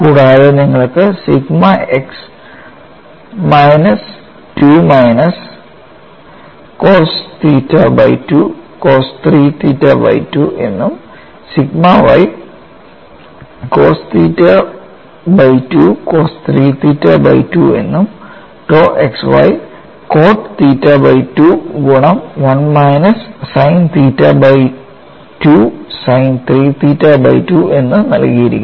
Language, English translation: Malayalam, So, I have sigma x sigma y tau xy that is related to that is given as K 2 divided by root of 2 pi r sin theta by 2 and you have for sigma x minus 2 minus cos theta by 2 cos 3 theta by 2 for sigma y cos theta by 2 cos 3 theta by 2 for tau xy cot theta by 2 multiplied by 1 minus sin theta by 2 sin 3 theta by 2